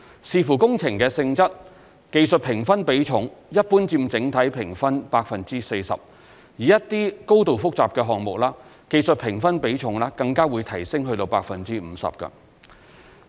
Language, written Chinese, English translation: Cantonese, 視乎工程的性質，技術評分比重一般佔整體評分 40%； 而一些高度複雜的項目，技術評分比重更會提升至 50%。, Depending on the nature of the works the weighting of technical score is generally 40 % of the overall score which will be increased to 50 % for highly complex projects